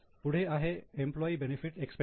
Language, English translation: Marathi, Next is employee benefit expense